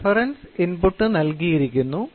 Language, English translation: Malayalam, Reference input is given